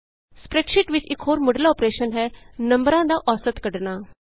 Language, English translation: Punjabi, Another basic operation in a spreadsheet is finding the Average of numbers